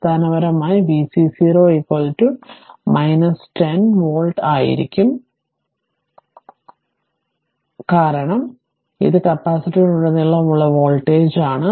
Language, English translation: Malayalam, So, basically your v c 0 minus will be is equal to 10 volt, because, this is the voltage across the capacitor